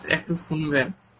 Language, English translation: Bengali, Excuse me miss